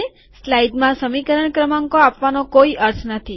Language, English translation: Gujarati, It does not make sense to give equation numbers in a slide